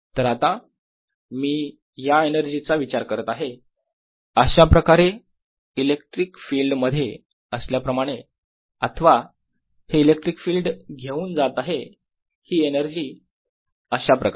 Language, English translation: Marathi, so now i am thinking of this energy being sitting in this electric field or this electric field carrying this energy